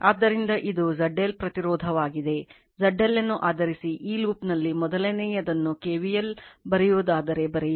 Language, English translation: Kannada, So, little bit and this is Z L impedance Z L is given based on that if you write in the first in this in this loop if you write your KVL